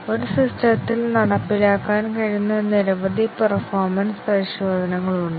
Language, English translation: Malayalam, There are a variety of performance tests that can be carried out on a system